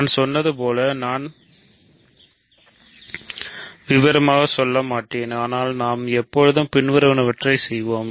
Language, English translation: Tamil, So, as I said I will not go into details, but we can always do the following